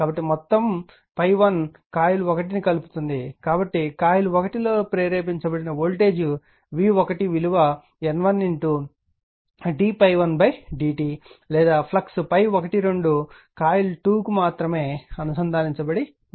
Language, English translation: Telugu, So, whole phi 1 linking the coil 1 so voltage v 1 inducing coil 1 will be N 1 into d phi 1 upon d t or only flux phi 1 2 links coil 2